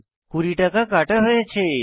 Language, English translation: Bengali, Cash deducted 20 rupees